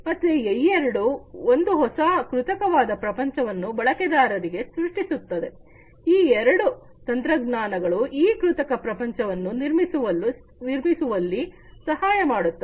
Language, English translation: Kannada, So, both of these they create new artificial world for the users, both of these technologies can help create this artificial world